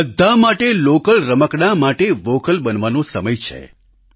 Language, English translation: Gujarati, For everybody it is the time to get vocal for local toys